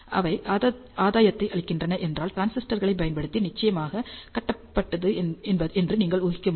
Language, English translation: Tamil, If they are providing gain, you must guess that these are, of course built using transistors